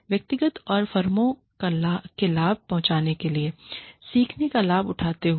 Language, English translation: Hindi, While leveraging, the learning, to benefit the individual and the firms